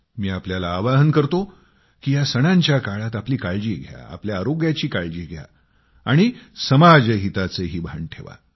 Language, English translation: Marathi, I would request all of you to take best care of yourselves and take care of your health as well and also take care of social interests